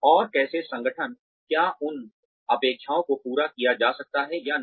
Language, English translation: Hindi, And, how the organization, and whether those expectations, can be met or not